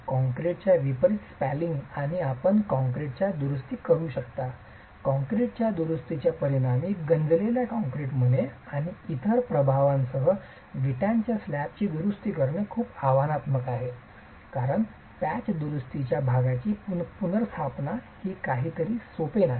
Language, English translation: Marathi, Unlike concrete that spalls and you can repair concrete in a reinforced concrete slab that is affected by corrosion with spalling and other effects on the concrete, repair of a brick slab is very challenging because replacement of parts as a patch repair is not something that is simple